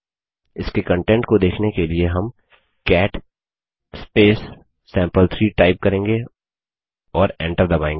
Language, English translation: Hindi, Let us see its content, for that we will type cat sample3 and press enter